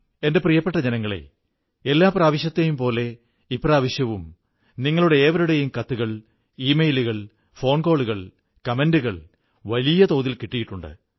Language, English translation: Malayalam, My dear countrymen, just like every time earlier, I have received a rather large number of letters, e mails, phone calls and comments from you